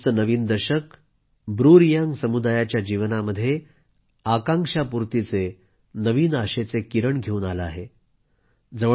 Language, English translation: Marathi, Finally the new decade of 2020, has brought a new ray of hope in the life of the BruReang community